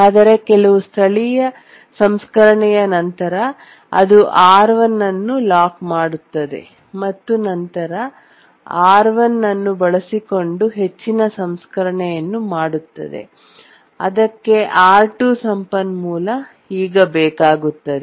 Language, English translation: Kannada, But then after some local processing it locks R1 and then does more processing using R1 and then needs the resource R2